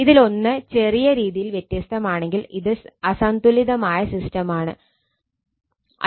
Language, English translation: Malayalam, I mean if one is different slightly, then it is unbalanced system